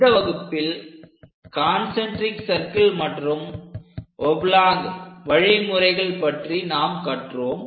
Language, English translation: Tamil, So, in this lecture, we have learned about concentric circle method and oblong method